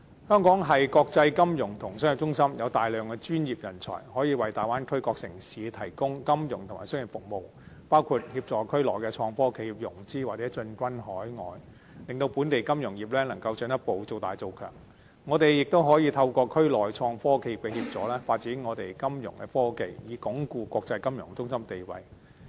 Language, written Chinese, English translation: Cantonese, 香港是國際金融和商業中心，有大量專業人才，可以為大灣區各城市提供金融和商業服務，包括協助區內創科企業融資或進軍海外，令本地金融業能夠進一步造大造強，香港亦可以透過區內創科企業的協助，發展香港的金融科技，以鞏固國際金融中心的地位。, As a financial and commercial centre of the world Hong Kong possesses large numbers of professional talents and can thus provide Bay Area cities with various financial and commercial services . It may for example provide services to the innovation and technology IT enterprises in the Bay Area assisting them in financing or expanding overseas . In this way our financial industry can grow bigger and stronger